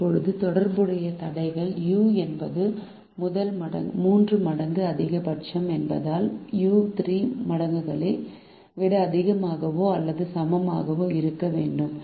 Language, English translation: Tamil, now the corresponding constrains are: since u is the maximum of the tree times, u have to be greater than or equal to the three times